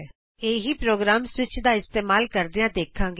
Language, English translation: Punjabi, We will see the same program using switch